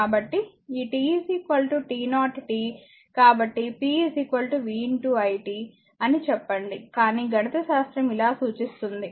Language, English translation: Telugu, So, p is equal to vi say t, but mathematically you can represent like this